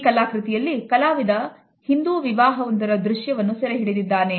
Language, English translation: Kannada, In this particular painting he has presented before us a scene at a Hindu wedding